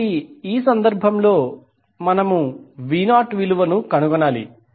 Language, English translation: Telugu, So, in this case, we need to find out the value of v naught